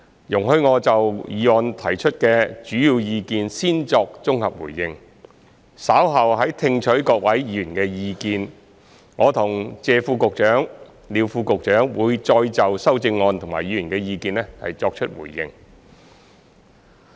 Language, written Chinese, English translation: Cantonese, 容許我就議案提出的主要意見先作綜合回應，稍後在聽取各位議員的意見後，我和謝副局長及廖副局長會再就修正案和議員的意見作出回應。, Please allow me to first give a consolidated response to the major views raised in the motion . Later on after listening to Members views Under Secretary Mr TSE Chin - wan Under Secretary Mr LIU Chun - san and I will give further responses to the amendments and Members views